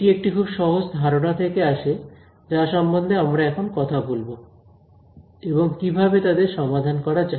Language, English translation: Bengali, So, that comes from some very simple concepts which we will talk about and also then how do we solve them